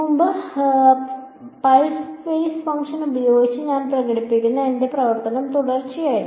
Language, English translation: Malayalam, Earlier my function that I was doing expressing using pulse basis function was discontinuous